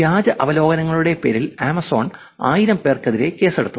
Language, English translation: Malayalam, Here is a case; Amazon sues 1000 people over fake reviews